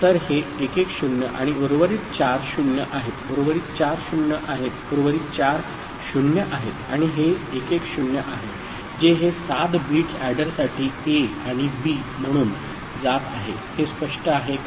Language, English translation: Marathi, So, this 110 and rest four are 0; rest four are 0; rest four are 0 and this is 110 that is this seven bits are going for as A and B for the adder, is it clear right